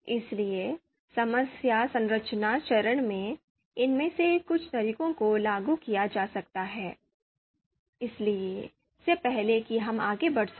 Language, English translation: Hindi, So in problem structuring phase, some of these methods can be applied before we can move ahead